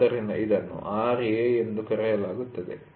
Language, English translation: Kannada, So, this is otherwise called as Ra